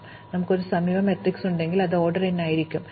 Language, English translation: Malayalam, So, what we said was that, this will be order n, if we have an adjacency matrix